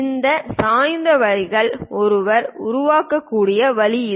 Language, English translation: Tamil, This is the way one can really construct these inclined lines